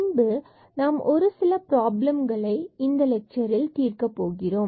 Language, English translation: Tamil, And then some worked problems will be done in this lecture